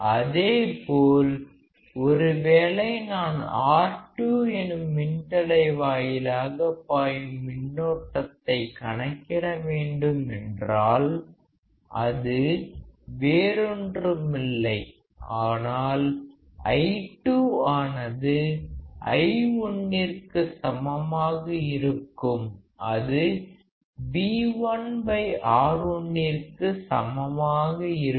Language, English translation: Tamil, Similarly if I want to measure the current flowing through R2; it will be nothing but I2 which is equal to I1 which equals to V1 by R1